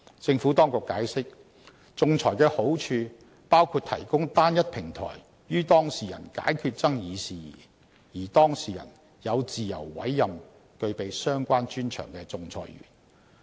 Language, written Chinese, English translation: Cantonese, 政府當局解釋，仲裁的好處包括提供單一平台予當事人解決爭議事宜，而當事人有自由委任具備相關專長的仲裁員。, The Administration has explained that arbitration can provide the parties with a single platform to resolve the disputed matters and the parties will also have the freedom to appoint their own arbitrators with the relevant expertise